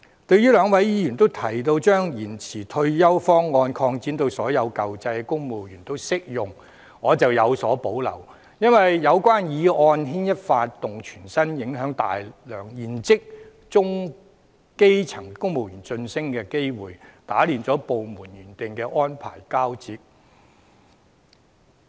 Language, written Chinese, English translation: Cantonese, 對於兩位議員均提到把延遲退休方案擴展至所有舊制公務員也適用，我則有所保留，因為有關建議會牽一髮動全身，影響大量現職中、基層公務員的晉升機會，打亂部門原定的安排交接。, Both Members have mentioned extending the option to extend service to all civil servants under the old scheme but I have reservations about this recommendation as it will have an impact on the civil service as a whole affecting the promotion opportunities of a large number of existing middle and basic rank civil servants and disrupting the original transition arrangements of various departments